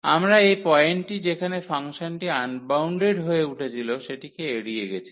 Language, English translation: Bengali, So, we have avoided also this a point where the function was becoming unbounded